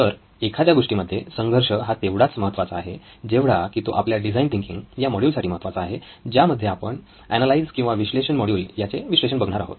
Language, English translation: Marathi, So conflict is essential to a story as much as it is to our design thinking module that we are looking at, the analysis of the Analyse module